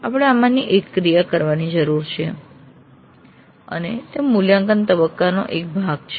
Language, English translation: Gujarati, So, one of these actions we need to do and that's part of the evaluate phase